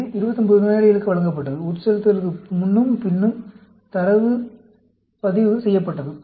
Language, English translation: Tamil, It was given to 29 patients; data was recorded before and after infusion